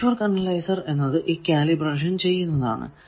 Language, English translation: Malayalam, So, network analyzer does a calibration, what is calibration